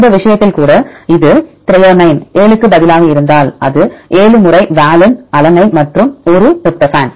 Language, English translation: Tamil, Even in this case, if it is instead of threonine 7 if it is valine 7 times and also alanine one tryptophan one